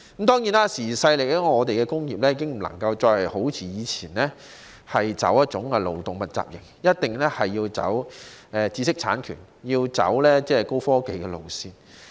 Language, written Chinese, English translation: Cantonese, 當然，時移世易，我們的工業已經不能夠好像以前那樣，採取勞動密集型，一定要走知識產權、高科技路線。, Certainly times have changed . Our industries can no longer adopt the labour - intensive model as in the past . They must take the path of intellectual property and high technology